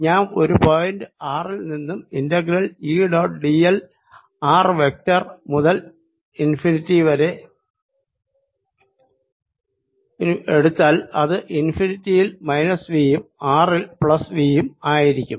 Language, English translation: Malayalam, so if i take integral d l going from a point r, let us say r vector to infinity, this would be equal to minus v at infinity plus v at r